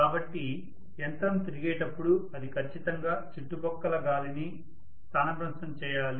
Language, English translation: Telugu, So when the machine is rotating it has to definitely displace the air, surrounding air